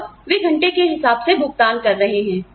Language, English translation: Hindi, And, they are getting paid by the hour